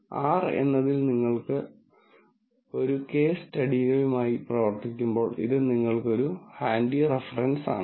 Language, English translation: Malayalam, So, that, it is a handy reference for you, when you work with the case studies, in R